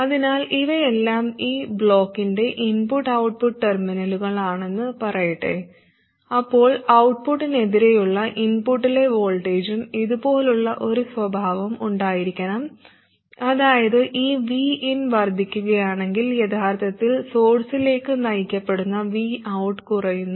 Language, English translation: Malayalam, So let's say these are the input and output terminals of this block, whatever that is, then the output versus input, that is the voltage at the output versus voltage at the input, should have a characteristic like this, which means if this V In increases V Out, what is driven to the source should actually decrease